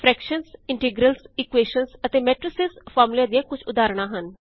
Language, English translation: Punjabi, Some examples of formulae are fractions, integrals, equations and matrices